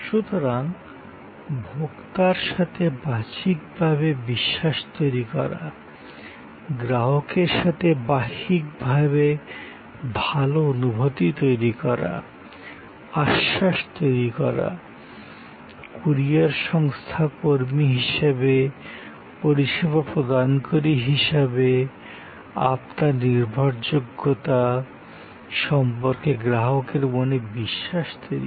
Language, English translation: Bengali, So, to create trust externally with the consumer, to create good feeling externally with the customer, to create assurance, to create the trust in customer's mind about your reliability as a service provider as a courier company